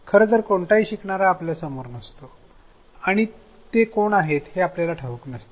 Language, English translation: Marathi, In fact, none of the learners are in front of us and we do not exactly know who they are